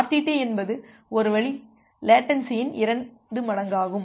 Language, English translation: Tamil, So, a RTT is basically twice the one way latency